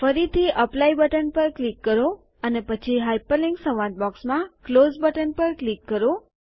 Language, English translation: Gujarati, Again click on the Apply button and then click on the Close button in the Hyperlink dialog box